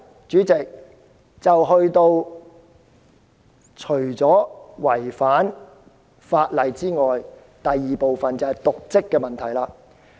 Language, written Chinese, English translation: Cantonese, 主席，特首除了違法外，還有瀆職的問題。, President apart from the breach of law the Chief Executive has the fault of dereliction of duty